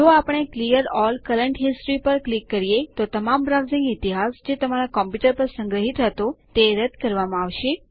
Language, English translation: Gujarati, If we click on Clear all current history then all the browsing history stored on the your computer will be cleared